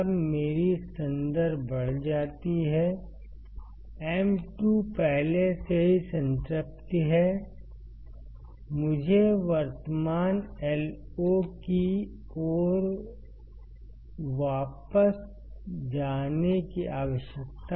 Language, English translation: Hindi, When my I reference increases my M 2 is already in saturation right, I need to go back towards the current Io